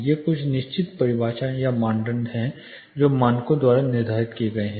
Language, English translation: Hindi, These are certain definitions are criteria which are said set by standard